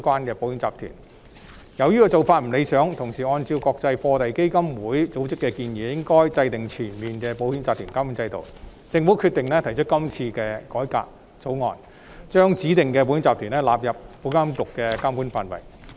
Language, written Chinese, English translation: Cantonese, 由於此做法不理想，而按照國際貨幣基金會組織的建議，我們應要制訂全面的保險集團監管制度，故政府決定提出今次的改革，把指定保險控權公司納入保監局的監管範圍。, Since this approach is somewhat undesirable and as recommended by the International Monetary Fund Hong Kong should formulate and implement a comprehensive regulatory regime for insurance groups . Therefore the Government has decided to launch the current reform in order to bring the designated insurance holding companies under IAs supervision